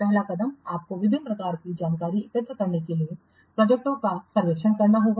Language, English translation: Hindi, First step, you have to conduct projects surveys to collect various types of information